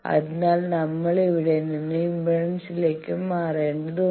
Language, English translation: Malayalam, So, here we have come up to here, from here now we need to change to impedance